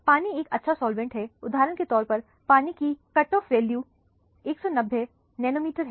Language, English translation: Hindi, Water is a good solvent for example, water has the cutoff value of 190 nanometer